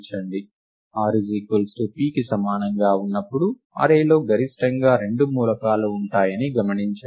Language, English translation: Telugu, Observe that when r is equal to p, there at most two elements in the array right